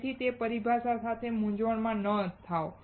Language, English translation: Gujarati, So, do not get confused with those terminologies